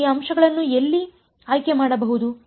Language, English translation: Kannada, So, where can I choose these points